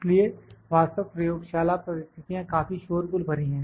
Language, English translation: Hindi, So, the laboratory actual laboratory conditions are quite noisy